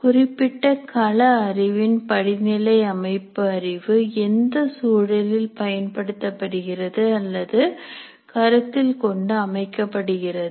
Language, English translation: Tamil, And also the hierarchical structure for a particular domain knowledge also depends on the context in which that knowledge is being applied or considered